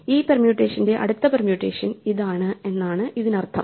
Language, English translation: Malayalam, Therefore, this means that for this permutation the next permutation is this one